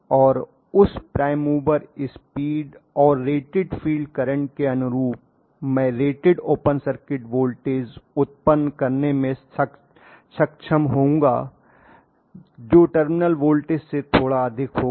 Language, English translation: Hindi, Right and corresponding to that prime mover speed and a rated field current I will be able to generate the rated open circuit voltage which will be slightly higher than the terminal voltage